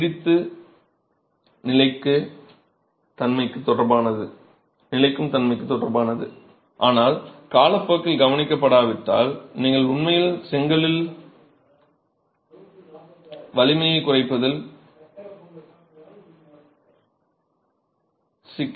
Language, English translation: Tamil, Another property which is more related to durability but if not addressed over time you can actually have a problem of strength reduction in the brick